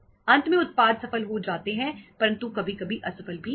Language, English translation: Hindi, Lastly products gets succeeded but sometime once in a while they get failed also